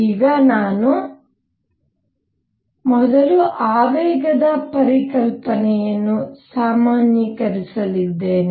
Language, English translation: Kannada, So, in this again, now I am going to now first generalize the concept of momentum